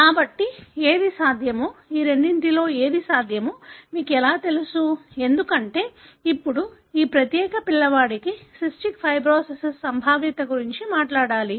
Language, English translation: Telugu, So, how do you know which is possible, which one of these two is possible, because now we have to talk about the probability of this particular kid having cystic fibrosis